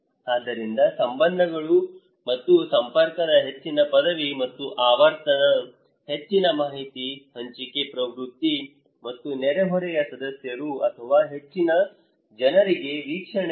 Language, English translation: Kannada, So, higher the degree and frequency of ties and network, higher is the information sharing tendency and neighbourhood members or a spatial group source of observations for most of the people